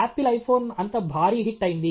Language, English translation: Telugu, The Apple iPhone become such a massive hit